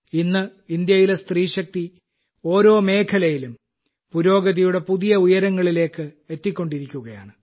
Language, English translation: Malayalam, Today the woman power of India is touching new heights of progress in every field